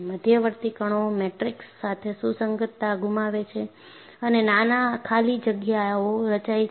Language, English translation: Gujarati, The intermediate particles loose coherence with the matrix and tiny voids are formed